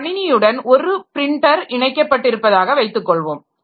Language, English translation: Tamil, Suppose there is a printer connected to a computer system